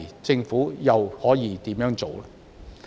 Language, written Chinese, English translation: Cantonese, 政府屆時又可以怎樣做？, What can the Government do then?